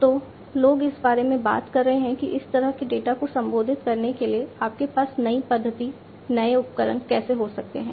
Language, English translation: Hindi, So, people are talking about how you can have newer methodologies, newer tools in order to address this kind of data